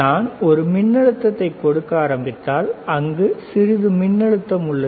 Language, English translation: Tamil, So, if I start giving a voltage, right